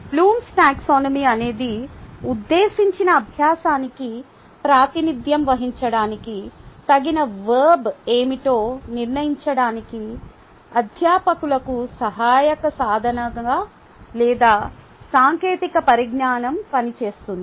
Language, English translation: Telugu, blooms taxonomy act as a ah helping tool or a technology for faculty to decide what will be the appropriate verb to represent the intended learning